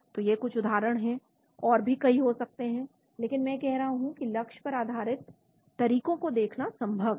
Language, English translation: Hindi, So these are some examples there could be many more, but I am saying that it is possible to look at target based approaches